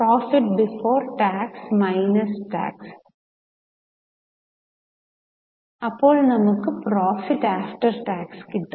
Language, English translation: Malayalam, Now, profit before tax minus tax you get profit after tax